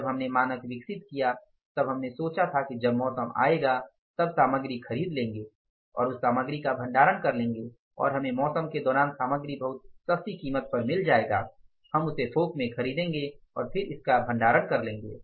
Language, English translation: Hindi, When we developed the standard we thought that we will procure the material when there is a season and we will store that material, we will get the material during the season at the throw way price, we will buy that in the bulk and then we will store the material